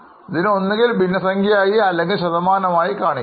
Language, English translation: Malayalam, Either it can be expressed as a percent or just as a fraction